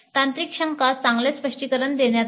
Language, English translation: Marathi, Technical doubts were clarified well